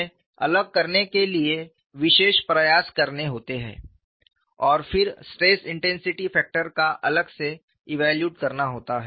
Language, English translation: Hindi, Then they have to do special efforts to segregate them and then evaluate the stress intensity factors separately